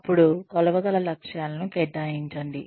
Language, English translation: Telugu, Then, assign measurable goals